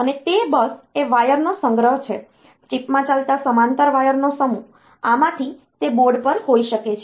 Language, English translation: Gujarati, Bus is nothing, but a collection of wires, a set of parallel wires running in the chip, from this it may be on a board